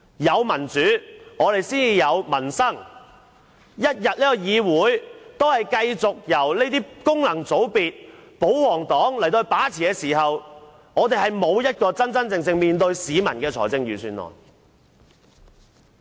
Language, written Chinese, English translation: Cantonese, 有民主才有民生，議會一天繼續由功能界別和保皇黨把持，便不會有真正能面對市民的預算案。, There will be peoples livelihood only when there is democracy and as long as this legislature is dominated by Members returned by functional constituencies and royalists we will never be given a budget that can genuinely respond to public aspirations